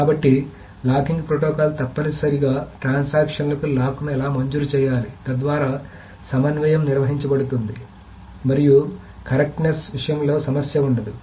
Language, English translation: Telugu, So the locking protocol is essentially how the transactions must be granted locks so that the concurrency can be maintained and there is the and the there is no issue with the correctness